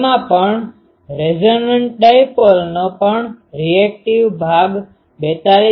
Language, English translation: Gujarati, It also has, resonant dipole also have reactive part 42